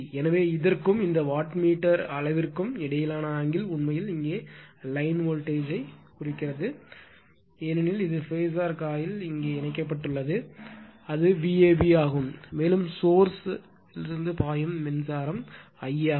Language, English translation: Tamil, Therefore angle between this , and these wattmeter measures actually , looks the line voltage here because it is phasor coil is connected here it will V a b because right and the current flowing through this is I a